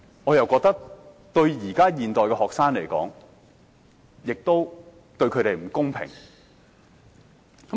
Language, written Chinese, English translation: Cantonese, 我覺得這對現代的學生並不公平。, To me that is unfair to the students of the present generation